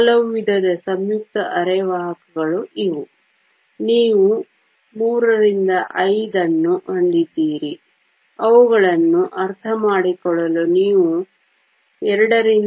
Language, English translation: Kannada, There are lots of different types of compound semiconductors; you have III V, you II VI to understand them